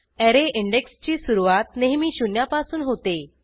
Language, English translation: Marathi, Array index starts from zero always